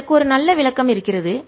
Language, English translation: Tamil, there's a nice interpretation to it